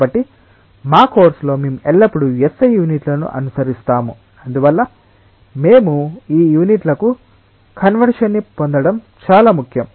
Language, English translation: Telugu, So, in our course we will be always following S I units and therefore, it is important that we get conversion to this units in